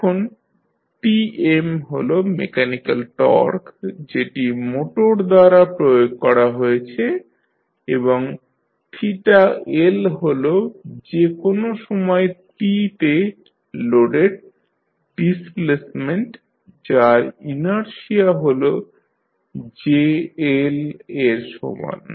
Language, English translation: Bengali, Now, Tm is the mechanical torque applied by the motor and theta L is the displacement at any time t for the load which is having inertia equal to jL